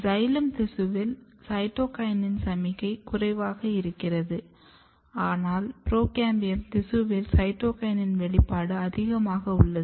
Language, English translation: Tamil, However, if you see the cytokinin signaling the cytokinin signaling are very less in the in the xylem tissues, but in procambium tissues the cytokinin expressions are high